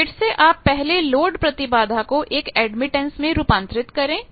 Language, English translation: Hindi, So, again determine first the load impedance convert it to the admittance